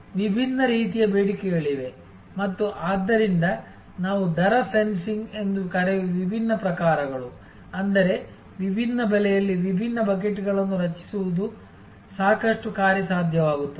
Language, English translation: Kannada, There are different types of demands and therefore, different types of what we call rate fencing; that means, creating different buckets at different prices become quite feasible